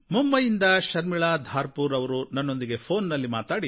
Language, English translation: Kannada, I am Sharmila Dharpure speaking from Mumbai